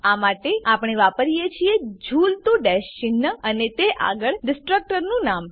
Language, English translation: Gujarati, For this we use a tilde sign followed by the destructors name